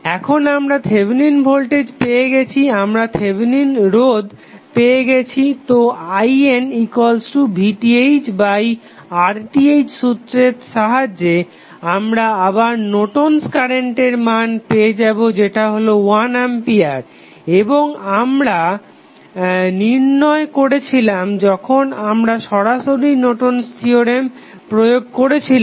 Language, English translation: Bengali, Now, we have got the Thevenin voltage, we have got the Thevenin resistance so using this formula I N is nothing but V Th upon R Th you get again the value of Norton's current as 1 ampere and this is what we calculated when we directly applied the Norton's theorem